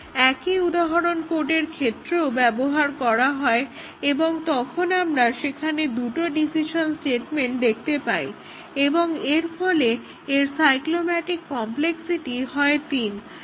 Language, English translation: Bengali, So, this is just an example the same example code and then we see here that there are two decision statements and therefore, it is cyclomatic complexity is 3